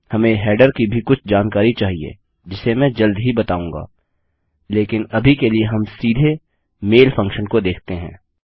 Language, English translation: Hindi, We also need some header information which Ill show you soon but Ill head straight to the mail function